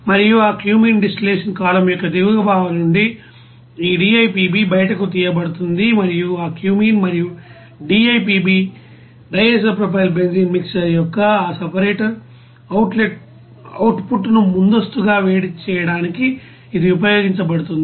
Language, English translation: Telugu, And from the bottom part of that cumene distillation column, this DIPB will be you know taken out and it will be used for you know preheating that output of that separator of that cumene and DIPB mixer